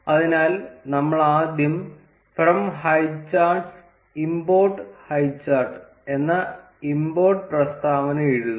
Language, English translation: Malayalam, So, we will first write the import statement from highcharts import highchart